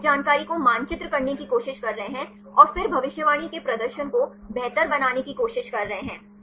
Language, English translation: Hindi, They are trying to map this information and then try to improve the prediction performance